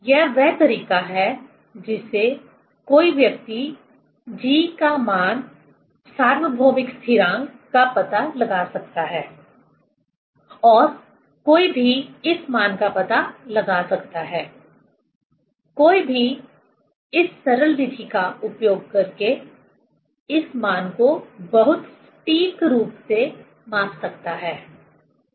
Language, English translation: Hindi, This is the way one can find out the g value, the universal constant and one can find out this value, one can measure this value very accurately using this simple method